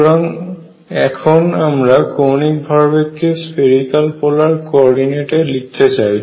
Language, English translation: Bengali, So, let us also write angular momentum in spherical polar coordinates